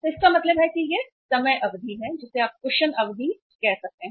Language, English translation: Hindi, So it means this is the time period you can call it as the cushion period